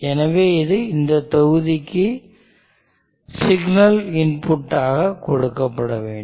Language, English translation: Tamil, So that also needs to be given as signal inputs to this block